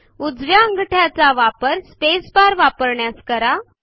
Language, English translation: Marathi, Use your right thumb to press the space bar